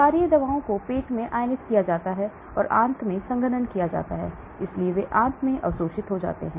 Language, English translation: Hindi, Basic drugs are ionized in stomach and unionized in intestine, so they are absorbed in the intestine